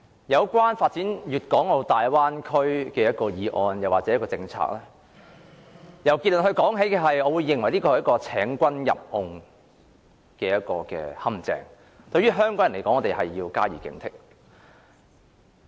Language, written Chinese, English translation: Cantonese, 有關發展粵港澳大灣區的議案和政策，如果由結論說起的話，我認為這是請君入甕的陷阱，香港人要加以警惕。, Talking about any motions or policies on development the Guangdong - Hong Kong - Macao Bay Area I think the conclusion is that this is a luring trap . Hong Kong people should be alarmed